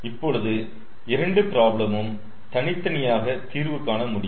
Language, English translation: Tamil, so now these two problems can be solved separately